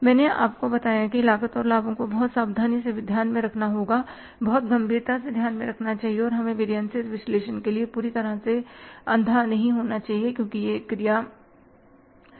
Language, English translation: Hindi, I told you that the cost and benefits has to have to be taken very carefully into account, very seriously into account and we should be not blindfully going for the variance analysis because it has to be done